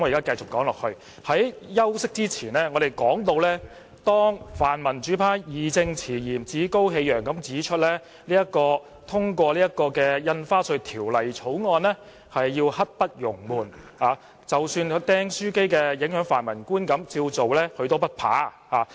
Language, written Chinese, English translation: Cantonese, 在休息前，我談到泛民主派議員義正詞嚴、趾高氣揚地表示通過《條例草案》刻不容緩，即使"釘書機事件"影響市民對泛民的觀感，他們也不怕。, Before the rest I said that the pan - democrats have spoken arrogantly and sternly from a sense of justice that the Bill should be passed as soon as possible and should brook no delay . They were not afraid even though the stapler incident had affected the publics perception of the pan - democrats